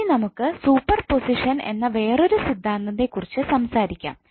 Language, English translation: Malayalam, Now let us talk about one important theorem called Super positon theorem